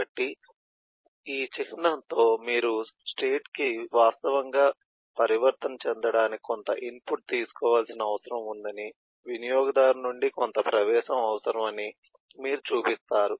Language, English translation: Telugu, so with this symbol you show that at this point for the state to actually make transition, each to take some input, some eh entry from the user